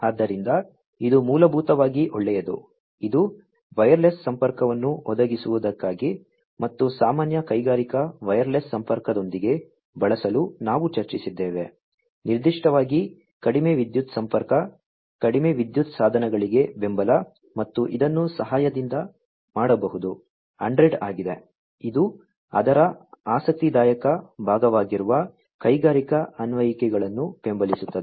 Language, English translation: Kannada, So, that is basically well is that is for providing wireless connectivity and, that is what we discussed for use with general you know industrial wireless connectivity, particularly, low power connectivity, support for low power devices, and so on that can be done with the help of this is a 100, and it supports industrial applications that is the interesting part of it